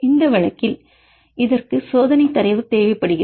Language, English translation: Tamil, In this case it requires the experimental data